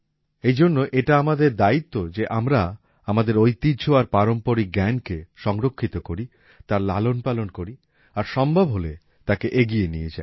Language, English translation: Bengali, Therefore, it is also our responsibility to preserve our traditions and traditional knowledge, to promote it and to take it forward as much as possible